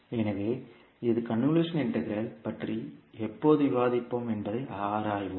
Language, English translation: Tamil, So, this we will analyze when we'll discuss about convolution integral